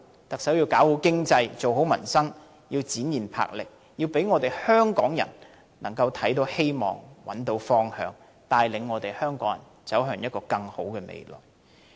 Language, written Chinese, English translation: Cantonese, 特首要搞好經濟，做好民生，要展現魄力，要讓香港人看到希望、找到方向，帶領香港人走向更好的未來。, The Chief Executive also has to enhance the economy take care of the peoples livelihood demonstrate boldness give hope to Hong Kong people show the way forward and lead Hong Kong to a better future